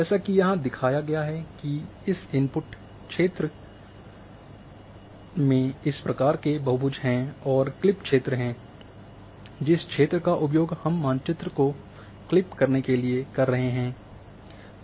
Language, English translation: Hindi, As shown here there is input coverage which is having this kind number of polygons and there is clip coverage, the coverage which we are going to use to clip the map 1 with the input map